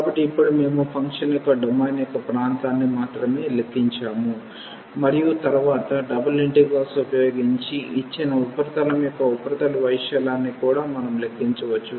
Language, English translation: Telugu, So now, we have computed only the area of the domain of the function and then, later on we can also compute the surface area of the given surface using the double integrals